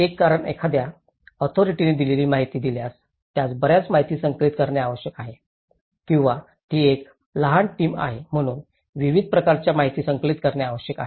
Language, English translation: Marathi, One is because it’s one authority has to compile a lot of information as a given if it is an authority or it is a small team has to collect a variety of information